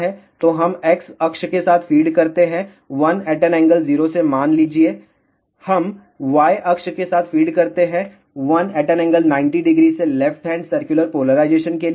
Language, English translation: Hindi, So, we feed along X axis let us say with 1 angle 0, we feed along Y axis by 1 angle 90 degree for left hand circular polarization